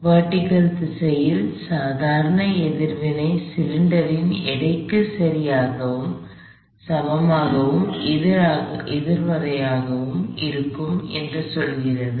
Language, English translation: Tamil, In the vertical direction all it tells me is that the normal reaction is exactly equal and opposite to the weight of the cylinder itself